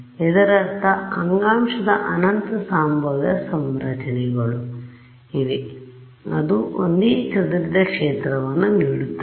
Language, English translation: Kannada, That means, there are infinite possible configurations of the tissue which can conspire to give you the same scattered field